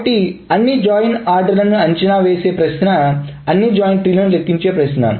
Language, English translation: Telugu, So the question of evaluating all the join orders is the question of enumerating all the joint trees